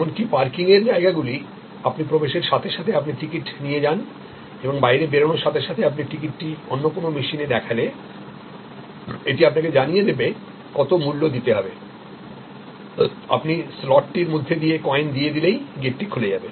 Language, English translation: Bengali, Even parking lots are now, you actually as you enter you take a ticket and as you go out, you insert the ticket in another machine, it shows how much you have to pay, you put the coins through the slot and the gate opens